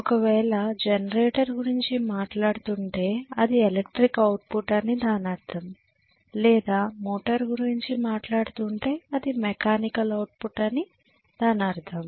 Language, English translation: Telugu, So if it is generator we are not talking about electrical output and if we are talking about motor we are talking about mechanical output, clearly